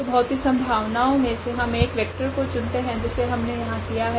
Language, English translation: Hindi, So, out of these many possibilities we can just pick one vector that we have done here for instance